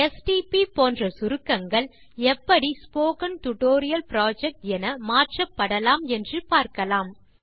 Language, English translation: Tamil, You will notice that the stp abbreviation gets converted to Spoken Tutorial Project